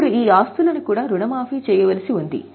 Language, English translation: Telugu, Now these assets are also required to be amortized